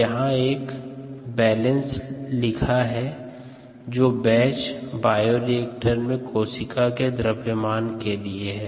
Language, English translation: Hindi, since we are doing the balance on cells, this would be written for the mass of cells in the batch bioreactor, since it is batch and a